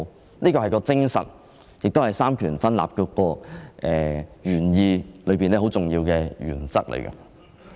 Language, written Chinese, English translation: Cantonese, 這便是《條例》的精神，亦是三權分立的原意，是很重要的原則。, This is the spirit of the Ordinance and the original intention of the separation of powers and this principle is very important